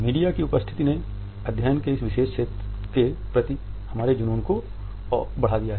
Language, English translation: Hindi, Media presence has also made our obsession with this particular field of a study, heightened